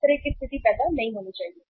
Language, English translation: Hindi, That kind of situation should not arise